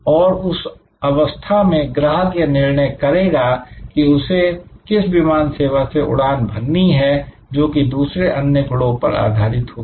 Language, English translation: Hindi, And at that stage, customers will make the decision will make the choice, which airlines to fly based on number of other attributes